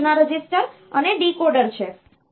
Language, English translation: Gujarati, One is the instruction register and decoder